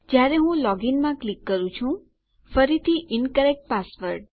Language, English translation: Gujarati, I can see that when I click in login, again, Incorrect password